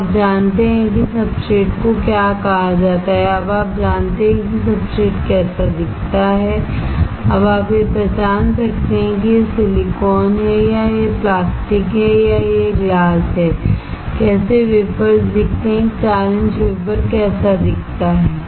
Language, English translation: Hindi, You now know what is called substrate, you now know how the substrate looks like, you can now identify whether it is silicon or it is plastic or it is glass, how the wafers looks like, how a 4 inch wafer looks like